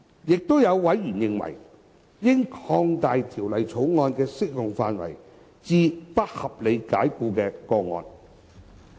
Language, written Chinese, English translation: Cantonese, 亦有委員認為，應擴大《條例草案》的適用範圍至不合理解僱的個案。, Some members have also taken the view that the scope of the Bill should be extended to cover unreasonable dismissal cases